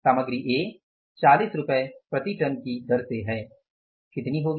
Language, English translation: Hindi, Material A at the rate of rupees 40 per ton it is going to be how much